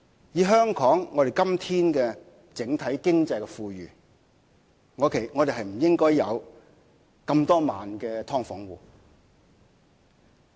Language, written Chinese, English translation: Cantonese, 以香港今天整體經濟富裕的狀況，我們不應該有這麼多萬的"劏房戶"。, As Hong Kong is generally speaking an affluent city Hong Kong we should not have tens of thousands of residents living in subdivided units